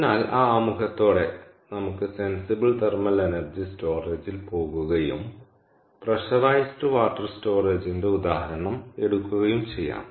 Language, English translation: Malayalam, all right, so with that introduction, lets go to thermal energy storage, the sensible energy storage, and take up the example of pressurized water